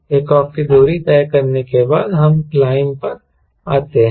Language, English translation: Hindi, now, after takeoff distance, we come to climb